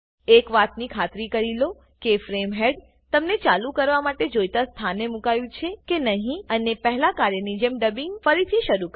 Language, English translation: Gujarati, Ensure that the frame head is positioned at the point from where you want to continue and start dubbing once again as you did before